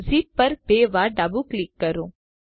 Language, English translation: Gujarati, Left double click on the zip